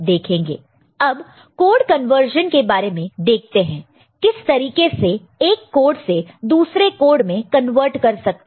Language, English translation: Hindi, And regarding code conversion; so how to convert from one form to another